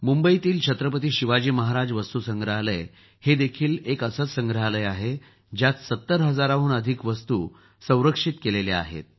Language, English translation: Marathi, Mumbai's Chhatrapati Shivaji Maharaj VastuSangrahalaya is such a museum, in which more than 70 thousand items have been preserved